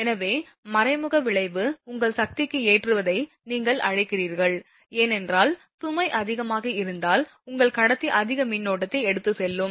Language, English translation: Tamil, So, indirect effect is there for the your what you call the loading of the power system because if load is more than your conductor will carry more current